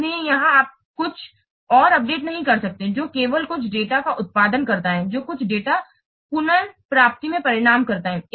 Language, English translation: Hindi, So here you cannot what update anything else only that produces for some data, it results in some data retrieval